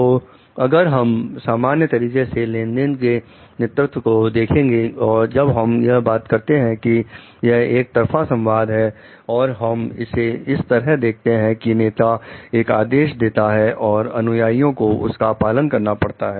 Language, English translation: Hindi, So, if we take transactional leadership in this general way like when we talk of it is a one way communication and we take it as like the leader gives the order and the follower needs to follow it